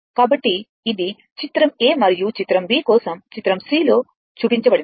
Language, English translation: Telugu, So, this is for figure c for figure a and figure b right